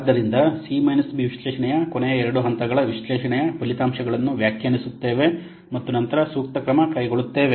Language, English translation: Kannada, So the last two steps of CB analysis are interpret the results of the analysis and then take appropriate action